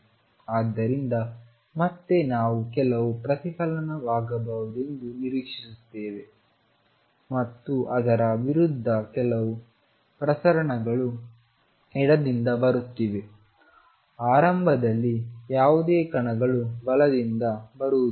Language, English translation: Kannada, So, again we expect that there will be some reflection and some transmission against is the particles are coming from the left initially there no particles coming from the right